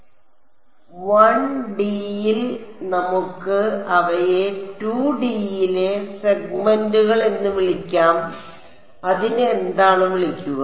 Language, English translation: Malayalam, In 1 D we can call them segments in 2 D what do we call it